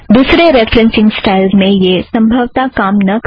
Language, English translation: Hindi, It may not work with other referencing styles